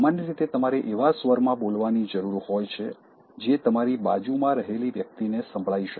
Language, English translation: Gujarati, Similarly, talking in a loud tone, normally you need to speak in a tone that is audible to the person who is next to you